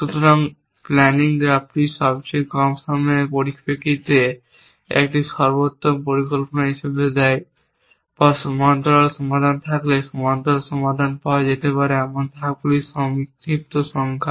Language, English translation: Bengali, So, the planning graph gives as a optimal plan in terms of the most the shortest times span or the shortest number of the steps in which parallel solutions can be found if there is a parallels solution